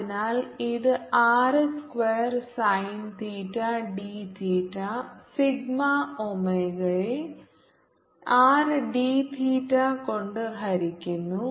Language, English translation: Malayalam, so this will be r square, sin theta, d theta, d, omega, divided by r d theta